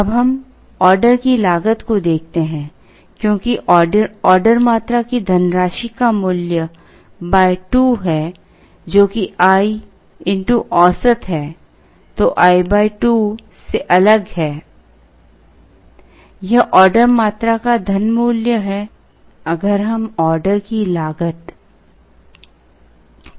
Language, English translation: Hindi, Now let us look at order cost, as the money value of the order quantity by 2 which is the average into i